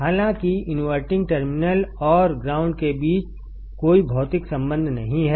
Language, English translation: Hindi, Though there is no physical connection between the inverting terminal and the ground